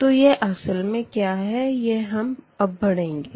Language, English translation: Hindi, So, what exactly this let us discuss here